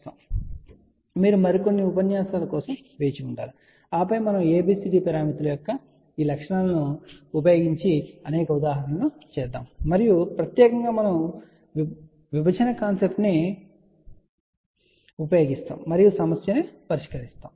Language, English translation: Telugu, So, you have to wait for few more lectures, and then we are going to take several examples where we are going to use these properties of ABCD parameters and specially we will use the concept of divide and solve the problem